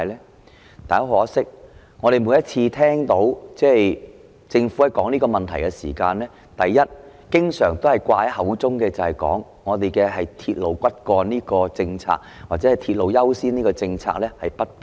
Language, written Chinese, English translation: Cantonese, 然而，很可惜，我們每次聽到政府討論這個問題的時候，經常掛在口邊的是，本港以"鐵路為骨幹"或"鐵路優先"的政策不變。, Unfortunately however every time the Government discusses this issue we hear it say that the policy of designating railway as the backbone or according priority to railways remains unchanged in Hong Kong